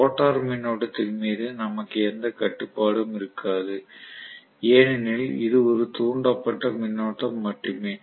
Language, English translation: Tamil, The rotor we will not have any control over the rotor current because it is only an induced current